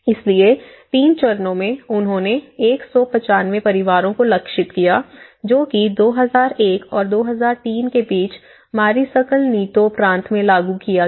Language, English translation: Hindi, So, the 3 stages, they targeted 195 families, which is implemented in Mariscal Nieto Province between about 2001 and 2003